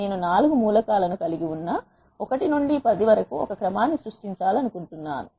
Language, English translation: Telugu, I want to generate a sequence from 1 to 10 which contains the 4 elements